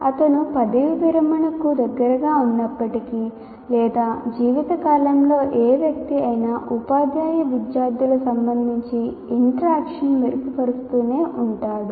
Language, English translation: Telugu, Even if he is close to retirement or any person for that matter, lifelong can continue to improve with regard to teacher student interaction